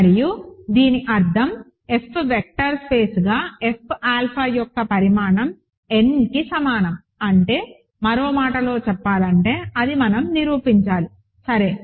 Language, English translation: Telugu, And remember this means, the dimension of F alpha as an F vector space is equal to n that is in other words, that is what we are supposed to prove, ok